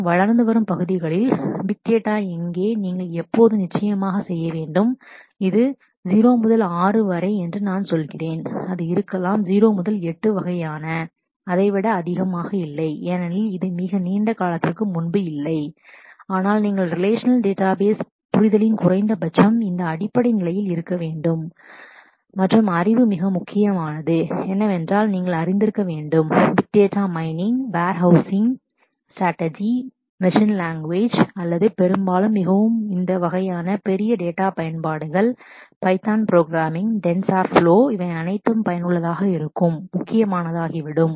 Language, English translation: Tamil, And in the emerging areas of what is big data where, you need to have now of course, the I am saying this is 0 to 6, it could be 0 to 8 kind of, not more than that because it did not exist quite a long time ago, but you need to have a basic level of at least this much of the relational database understanding and knowledge, but what is critical is a whole set of other skills like, you must be aware with big data the data mining, warehousing strategies machine learning or is often very useful in this kind of big data applications, python programming, tensor flow all these become critical